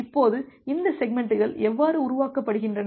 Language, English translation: Tamil, Now, how this segments are been created